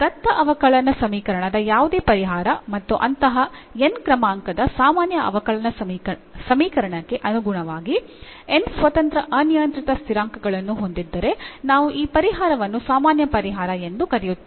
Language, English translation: Kannada, So, any solution of this differential equation of a given differential equation and if it has n independent arbitrary constants corresponding to the such nth order, ordinary differential equation then we call this solution as general solution